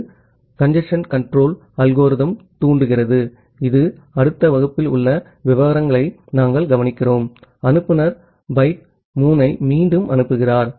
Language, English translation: Tamil, This triggers a congestion control algorithm which we look into the details in the next class, after time out the sender retransmits byte 3